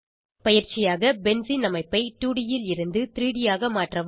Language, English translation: Tamil, As an assignment, Convert Benzene structure from 2D to 3D